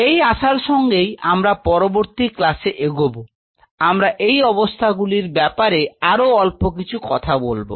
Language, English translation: Bengali, So, with this hope we will be proceeding further in the next class, we will talk little bit more about these conditions